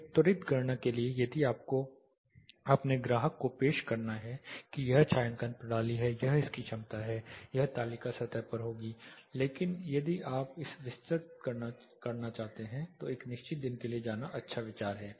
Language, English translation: Hindi, For a quick calculation if you have to present your client that this is the shading system this is what its efficiencies this table will surface, but if you want to do a detailed calculation or day in day out calculation then it is a good idea to go for a particular day